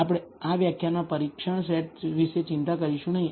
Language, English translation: Gujarati, We will not worry about the test set in this particular lecture